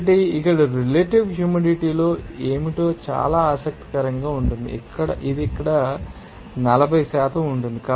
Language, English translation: Telugu, So, very interesting that what will be the relative humidity here, it will be simply 40% here